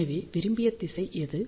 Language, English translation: Tamil, So, whatever is the desired direction